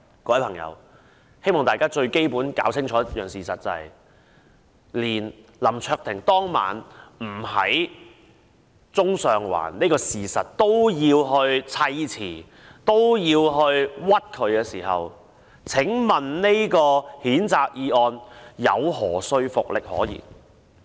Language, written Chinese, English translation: Cantonese, 我希望大家明白，當林卓廷議員當晚不在中上環是事實，建制派也要砌詞誣衊他，這項譴責議案還有何說服力可言？, When the pro - establishment camp insists on making up slanderous accusations against Mr LAM Cheuk - ting when he was not actually in Central or Sheung Wan that night how convincing can this censure motion be? . I hope everyone will see that